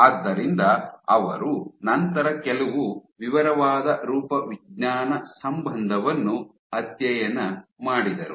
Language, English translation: Kannada, So, they then did some detailed morphological correlation